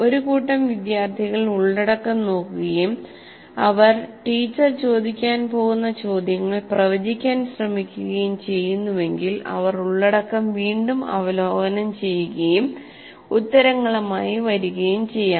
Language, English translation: Malayalam, If a group of students are looking at the content and they are able to try to predict the questions, the teacher might ask, you will go around and review the content and come with the answers